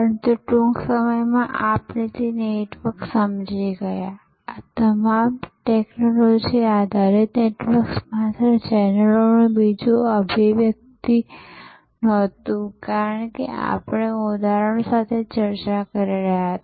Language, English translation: Gujarati, But, soon we understood that network, all these technology based networks were not just another manifestation of channels as we were discussing with examples